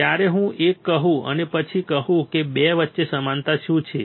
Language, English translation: Gujarati, When I say one and then I say 2 what is the similarity